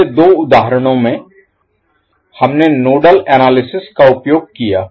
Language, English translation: Hindi, In the previous two examples, we used nodal analysis